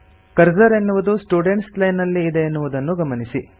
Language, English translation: Kannada, Notice that the cursor is in the Students Line